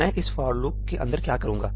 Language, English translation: Hindi, What do I do inside the for loop